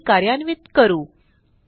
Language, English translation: Marathi, Let us run the query